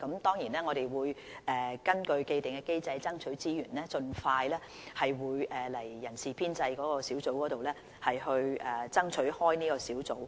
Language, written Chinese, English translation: Cantonese, 當然，我們會根據既定機制，爭取資源，盡快向立法會人事編制小組委員會爭取開設這個小組。, We will surely follow the established procedure and seek approval from the Establishment Subcommittee of the Legislative Council for the provision of resources to establish this unit